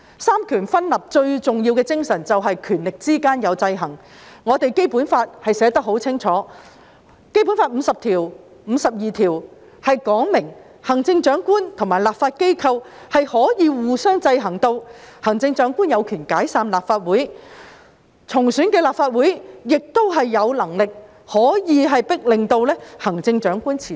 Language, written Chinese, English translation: Cantonese, 三權分立最重要的精神就是權力之間有制衡，《基本法》寫得很清楚，《基本法》第五十條、第五十二條指明行政長官及立法機關可以互相制衡，行政長官有權解散立法會，而重選的立法會亦可以迫令行政長官辭職。, The most important spirit of the separation of powers is that there are checks and balances among the powers . This is clearly stated in the Basic Law . Articles 50 and 52 of the Basic Law stipulate that there are checks and balances between the Chief Executive and the legislature and that the Chief Executive may dissolve the Legislative Council and the re - elected Legislative Council may force the Chief Executive to resign